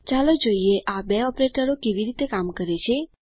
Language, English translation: Gujarati, Lets see how these two operators work